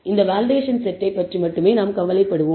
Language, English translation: Tamil, We will only worry about this validation set